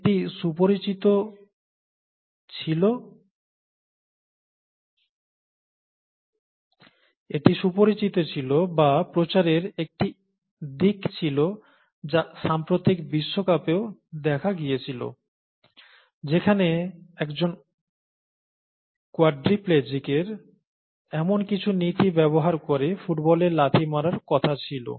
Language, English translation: Bengali, There was a, a well known, or there was a publicity aspect that was also a part of the recent world cup, where a quadriplegic was supposed to kick the football using some such principles